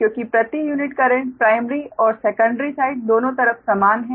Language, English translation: Hindi, that means in per unit, primary side and secondary side